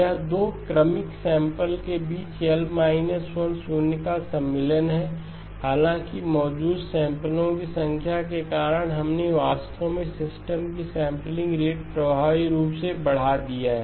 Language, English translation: Hindi, It is insertion of L minus 1 0s between 2 successive samples; however, because of the number of samples present, you have actually effectively increased the sampling rate of the system